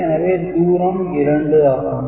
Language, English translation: Tamil, So, this is 2